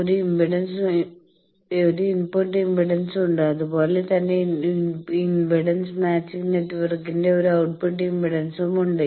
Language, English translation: Malayalam, So, that there is an input impedance, similarly there is a output impedance of the impedance matching network